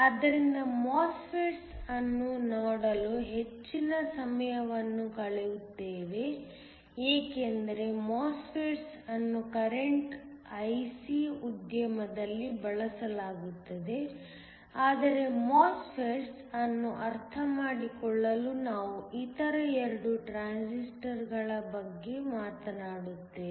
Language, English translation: Kannada, So, will spend most of the time looking at MOSFETS, because MOSFETS are what are used in the current IC industry, but we will talk about the other 2 to form the basis of understanding MOSFETS